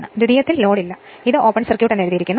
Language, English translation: Malayalam, There is no load on the secondary, it is written open circuit right